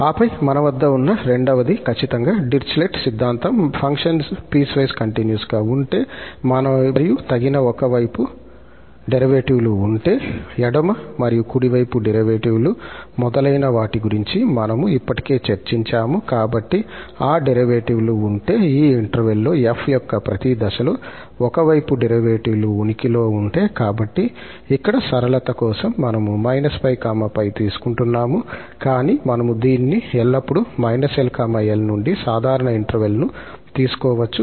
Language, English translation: Telugu, Then the second one we have is exactly the Dirichlet theorem which says that if the function is piecewise continuous and the appropriate one sided derivatives exist, we have already discussed before appropriate means those left and right derivatives etcetera, so, if those derivatives, the one sided derivatives of f at each point in this interval exist, so, here just for simplicity, we are taking minus pi to pi but we can always take it rather general interval from minus L to L